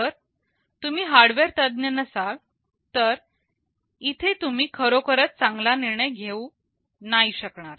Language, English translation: Marathi, So, unless you are a hardware expert, you really cannot take a good decision here